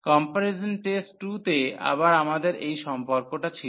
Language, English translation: Bengali, So, the comparison test 2 was again we have these relations